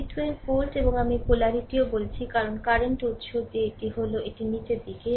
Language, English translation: Bengali, This is 12 volt and I told you the polarity also because current source that is your it is downwards right